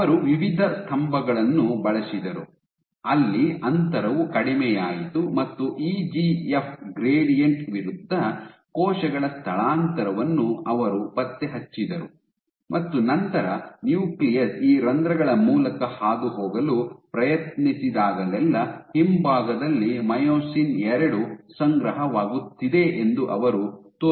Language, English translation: Kannada, So, if a cell is migrating So, they used a variety of pillars, where the spacing was reduced and they track the cell migration against an EGF gradient, and then they showed that whenever the nucleus was trying to pass through these pores you had an accumulation of myosin II at the rear